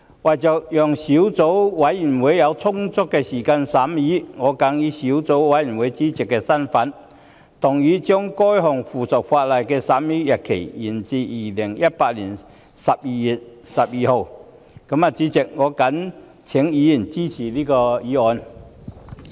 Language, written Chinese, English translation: Cantonese, 為了讓小組委員會有充足時間進行審議工作，我謹以小組委員會主席的身份動議議案，將該項附屬法例的審議期限延展至2018年12月12日的立法會會議。, To allow the Subcommittee ample time to conduct the scrutiny I in my capacity as the Subcommittee Chairman move the motion to extend the scrutiny period of the subsidiary legislation to the Legislative Council meeting of 12 December 2018